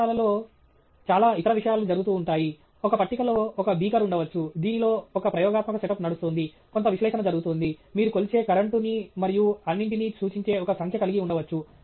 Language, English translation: Telugu, In the lab, lot of other things may be going on; there may be a beaker in one table wherein one experimental setup which is running, some analysis going on; you may have some other instrument, you know, flashing some number which represents some current it’s measuring and all that